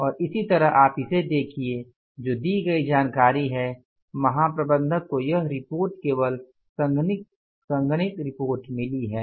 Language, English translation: Hindi, And similarly if you look at this now information given, the general manager has just received this report, condensed report